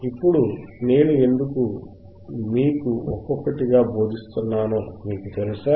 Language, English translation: Telugu, Now, you guys understand why I am teaching you one by one